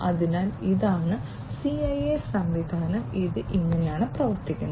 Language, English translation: Malayalam, So, this is the CIA system that and this is how it performs